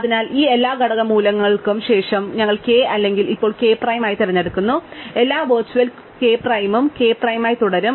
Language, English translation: Malayalam, So, after this all component values we choose to be k are now k prime, all which were k prime remain k prime